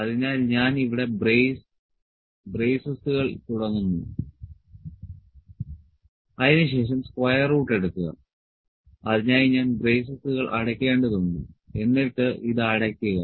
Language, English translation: Malayalam, So, I will start the braces here, then take square root of so I have to close this is and close this is I have to take it should be complete